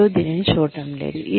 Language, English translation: Telugu, Nobody is going to look at it